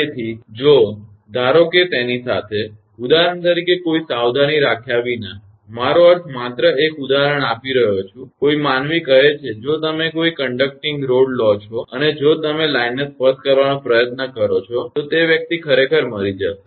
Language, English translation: Gujarati, So, if suppose with that; without any caution for example, I mean just giving an example any human being say if you take a conducting rod and if you try to touch the line that person will die actually